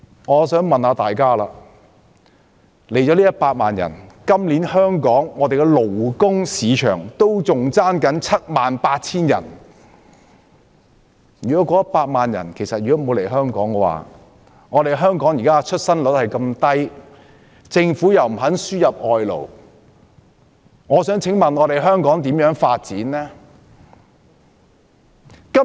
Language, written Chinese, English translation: Cantonese, 可是，即使來了100萬人，今年香港的勞工市場仍欠約 78,000 人，如果沒有這100萬人來港，加上香港現時出生率這麼低，而政府又不肯輸入外勞，試問香港如何發展呢？, But despite these 1 million new immigrants our labour market still needs about 78 000 people . Without this 1 million people and considering our low birth rate and the Governments refusal to import labour how is Hong Kong going to develop?